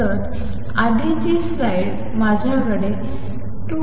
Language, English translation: Marathi, So, the earlier slide, I had in 2 m L square